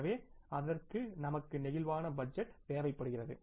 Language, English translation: Tamil, So, for that we need the flexible budget